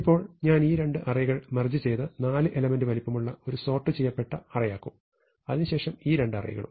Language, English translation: Malayalam, Now I want to merge these two arrays into a sorted segment of length 4, and these two arrays into a sorted segment of length 4